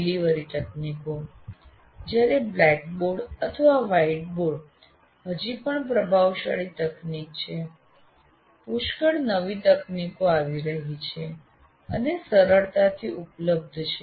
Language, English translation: Gujarati, Delivery technologies while still blackboard or whiteboard is the dominant technology, but plenty of new technologies are coming and are available now readily